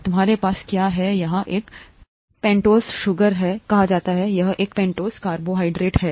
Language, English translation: Hindi, You have what is called a pentose sugar here, a pentose carbohydrate here